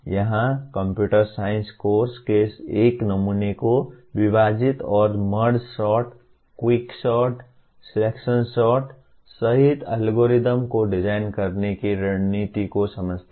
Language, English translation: Hindi, Here a sample from computer science course one understand the divide and conquer strategy for designing algorithms including Merge sort, Quick sort, and Selection sort